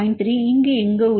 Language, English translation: Tamil, 7 somewhere here